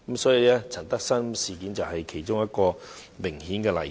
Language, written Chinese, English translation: Cantonese, 林德深事件就是一個明顯例子。, The LAM Tak - sum incident is a case in point